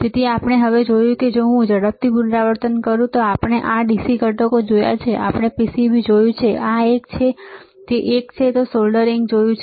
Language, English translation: Gujarati, So, we have now seen if I quickly repeat, we have seen this DC components, we have seen PCB, which is this one, this one, then we have seen the soldering